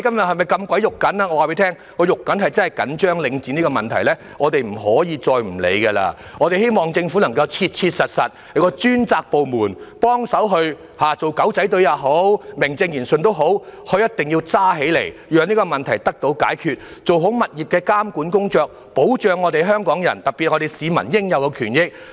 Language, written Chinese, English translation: Cantonese, 我告訴大家，我真的十分着緊領展的問題，我們不可以再不理會了，我希望政府能夠切實委任專責部門，不論是以"狗仔隊"或名正言順的方式也好，他們必須嚴肅處理，讓這個問題得以解決，並做好物業監管工作，以保障香港人，特別是市民應有的權益。, Let me tell Members that I really care a lot about the problems related to Link REIT . We can no longer ignore them . I hope the Government can assign the task to a dedicated department and be it by way of some covert operation or some open and formal approach they must deal with this problem seriously so that it can be solved and a good job of property monitoring can be done to protect Hong Kong people in particular the due rights of the public